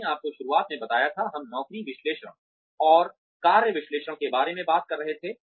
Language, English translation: Hindi, I told you in the very beginning, we were talking about job analysis, and task analysis